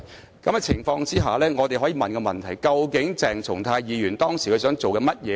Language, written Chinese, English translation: Cantonese, 在這種情況下，我們可以問的問題是究竟鄭松泰議員當時想做甚麼呢？, In that case we may ask what Dr CHENG Chung - tai intended to do at that time?